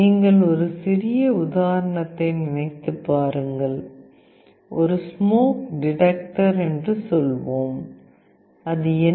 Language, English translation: Tamil, If you think of a small example, let us say a smoke detector, what is it